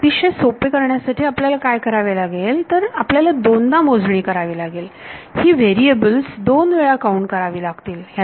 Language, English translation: Marathi, But, what we will do is to keep it very simple, we will do a double counting, we will count these variables 2 time